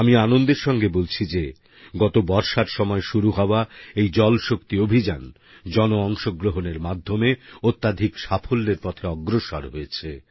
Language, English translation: Bengali, It gives me joy to let you know that the JalShakti Campaign that commenced last monsoon is taking rapid, successful strides with the aid of public participation